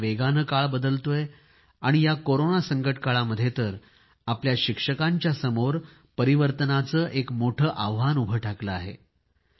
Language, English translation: Marathi, The fast changing times coupled with the Corona crisis are posing new challenges for our teachers